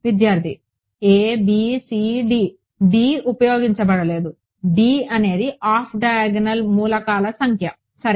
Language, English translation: Telugu, a b c d d; d has not been used d, d is the number of off diagonal elements ok